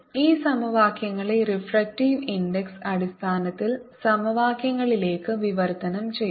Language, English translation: Malayalam, let us translate this equations to equations in terms of the refractive index